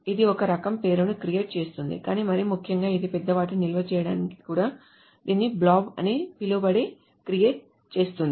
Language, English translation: Telugu, But more importantly, it also, for storing large objects, it also lets create something called a blob